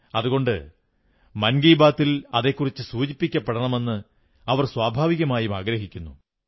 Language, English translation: Malayalam, And therefore it is their natural desire that it gets a mention in 'Mann Ki Baat'